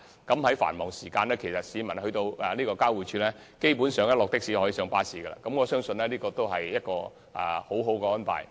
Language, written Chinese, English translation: Cantonese, 市民在繁忙時間如果乘的士到公共運輸交匯處，基本上可即時轉乘穿梭巴士，我相信這是一項很好的安排。, If people take a taxi to the public transport interchange during peak hours they can basically catch a shuttle bus immediately . I believe that is a very good arrangement